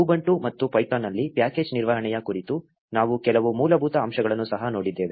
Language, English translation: Kannada, We also saw some basics about package management in ubuntu and python